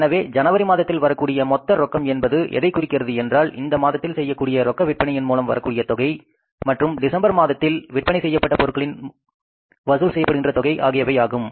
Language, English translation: Tamil, So it means the total cash will come in the month of January will be cash from the cash sales and the cash from the December month sales which will be collectible in the month of January